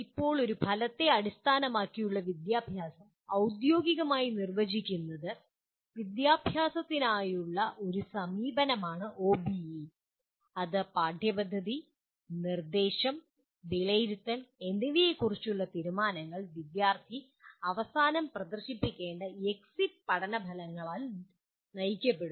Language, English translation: Malayalam, Now, formally defining what an Outcome Based Education, OBE is an approach to education in which decisions about curriculum, instruction and assessment are driven by the exit learning outcomes that the student should display at the end of a program or a course